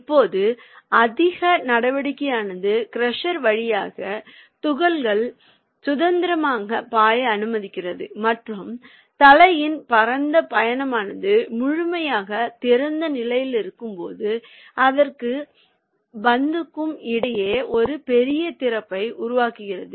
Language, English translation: Tamil, now, the high speed action allows particles to flow freely through the crusher and the wide travel of the head creates a large opening between it and the ball when in the fully open position